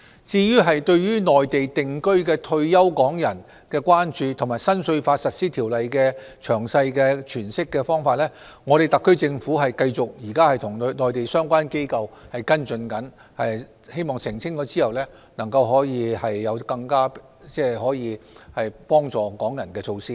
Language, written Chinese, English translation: Cantonese, 至於對內地定居的退休港人的關注和新稅法實施條例的詳細詮釋，特區政府現時會繼續與內地相關機構跟進，希望澄清後可以有更能幫助港人的措施。, As regards the concern of Hong Kong retirees residing in the Mainland and the detailed interpretation of the Regulations for the Implementation of the Individual Income Tax Law the SAR Government will continue to follow up with the relevant Mainland authorities . We hope measures to be implemented will be more beneficial to Hong Kong people after clarification is made